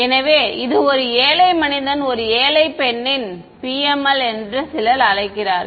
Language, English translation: Tamil, So, this is I mean some people call this a poor man’s or poor women’s PML ok